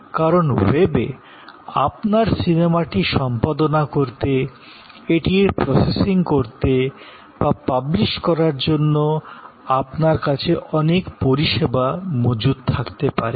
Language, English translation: Bengali, Because, of the so many services that you can have on the web to edit your movie, to process it, to publish it